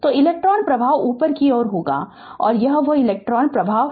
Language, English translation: Hindi, So, electron flow will be upwards So, this is that electron flow